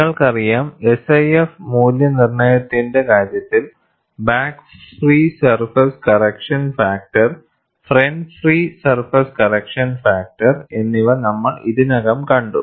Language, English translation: Malayalam, You know, we have already seen, in the case of SIF evaluation, back free surface correction factor, front free surface correction factor